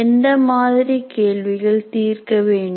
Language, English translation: Tamil, So what kind of problem should he solve